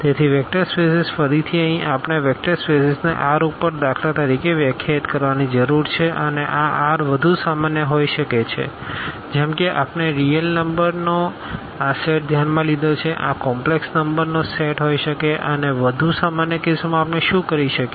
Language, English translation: Gujarati, So, a vector space again here we need to define the vector space over R for instance and this R can be more general like here we have considered this set of real numbers this can be a set of complex numbers and in more general cases what we call the field